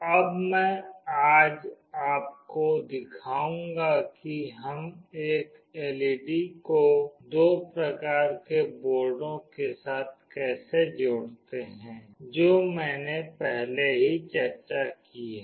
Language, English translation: Hindi, Today I will be showing you now how do we connect an LED with the two kinds of boards that I have already discussed